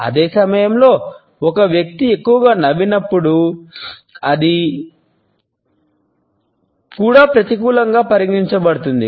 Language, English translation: Telugu, At the same time when a person smiles too much, it also is considered to be negative